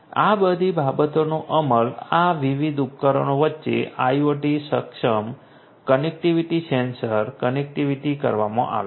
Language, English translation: Gujarati, All of this things have been implemented IoT enabled connectivity between this different devices sensors connectivity and so on